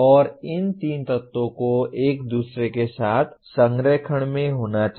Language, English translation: Hindi, And these three elements should be in alignment with each other